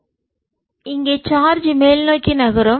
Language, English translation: Tamil, so here is the charge moving upwards